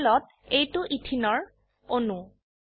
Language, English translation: Assamese, This is a molecule of ethene on the panel